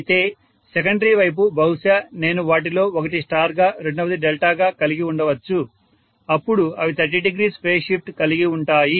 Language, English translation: Telugu, But on the secondary side maybe I have one of them to be star, second one to be delta, then they will have 30 degree phase shift